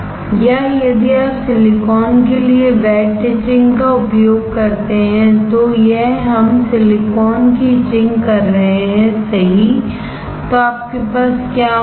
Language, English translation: Hindi, Or if you use wet etching for silicon, this is we are etching silicon right, then what you will have